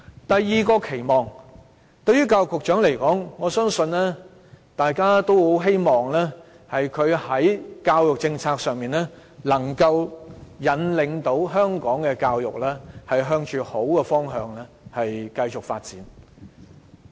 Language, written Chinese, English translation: Cantonese, 第二個對教育局局長的期望，我相信大家都希望他的教育政策，能夠引領香港的教育向着好的方向繼續發展。, We have a second expectation of the Secretary for Education . I believe we all hope that his education policy can lead Hong Kong to progress in a good direction in respect of education